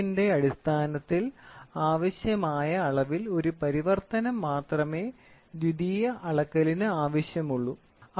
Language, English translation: Malayalam, Secondary measurement involves only one translation to be done on the quantity under measurement to convert into a change of length